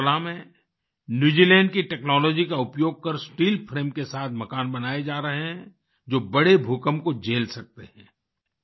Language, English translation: Hindi, In Agartala, using technology from New Zealand, houses that can withstand major earthquakes are being made with steel frame